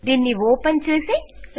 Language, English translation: Telugu, Lets open this up